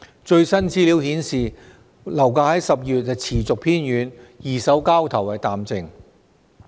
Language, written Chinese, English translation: Cantonese, 最新資料顯示，樓價在10月持續偏軟，二手交投淡靜。, As indicated by the latest information property prices stayed soft in October and secondary market transactions have quieted down